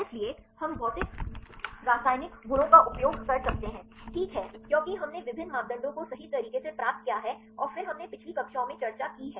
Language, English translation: Hindi, So, we can use physical chemical properties, right because we derived various parameters right and then we discussed in the earlier classes